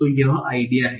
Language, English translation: Hindi, So this is the idea